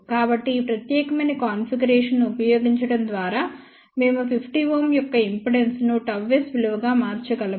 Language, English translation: Telugu, So, by using this particular configuration, we can transform the impedance of 50 ohm to gamma s value